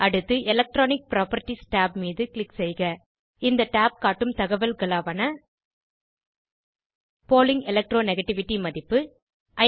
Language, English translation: Tamil, Next click on Electronic properties tab This tab shows details about Pauling electro negativity value